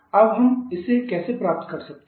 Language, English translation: Hindi, How we can get that